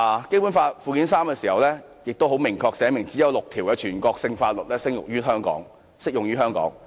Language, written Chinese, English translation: Cantonese, 《基本法》附件三明確規定，只有6項全國性法律適用於香港。, Annex III to the Basic Law specifically provides that only six national Laws are applicable to Hong Kong